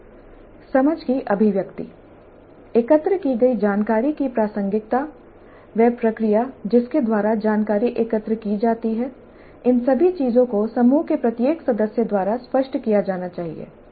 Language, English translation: Hindi, The articulation of the understanding, the relevance of the information gathered, the process by which information gathered, all these things must be articulated by every member of the group